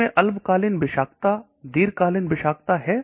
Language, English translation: Hindi, Does it have toxicity short term toxicity long term